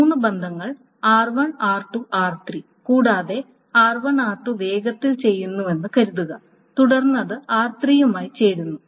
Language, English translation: Malayalam, So if consider this example of there are three relations R1, R2, R3 and suppose R1 R2 is done fast and then that is joined with R3